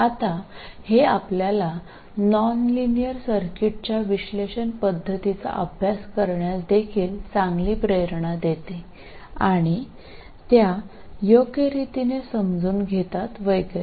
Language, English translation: Marathi, Now this also gives you a very good motivation for studying analysis methods of nonlinear circuits and understand them properly and so on